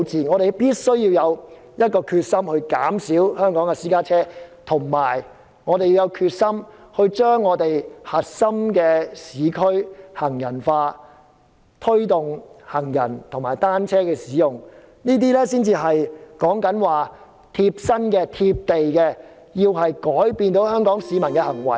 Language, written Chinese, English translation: Cantonese, 我們必須下定決心減少香港私家車數目，並盡量將核心市區變為行人專用區，只供行人和單車使用，這才是貼身、貼地，從而改變香港市民的行為。, This is simply putting the cart before the horse . We must be determined to reduce the number of private cars in Hong Kong and turn the core urban areas into precincts for pedestrian and bicycles only . This is the only realistic and practical way that will bring a change to Hong Kong peoples behaviour